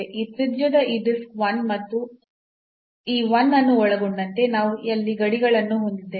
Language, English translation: Kannada, So, this disk of this radius one and including this 1 so, we have the boundaries there